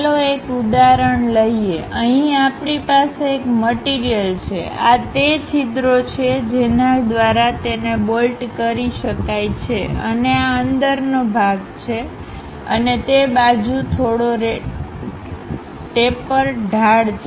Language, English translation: Gujarati, Let us take an example, here we have an object; these are the holes through which it can be bolted and this is a hollow portion inside and we have a slight taper on that side